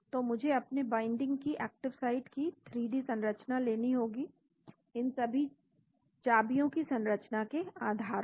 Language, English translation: Hindi, So, I get the 3D structure of the active site of my binding based on structures of all these keys